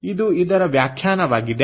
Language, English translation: Kannada, ok, so this is the definition